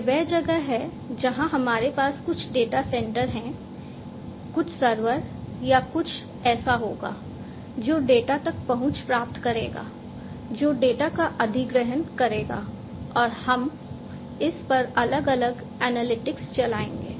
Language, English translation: Hindi, And this is where we will have some data center or simplistically some server or something like that which will get access to the data, which will acquire the data, and we will run different analytics on it, right